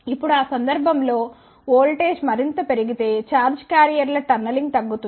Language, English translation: Telugu, Now, if the voltage is increased further in that case the tunneling of charge carriers will decrease